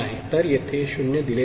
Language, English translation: Marathi, This is 0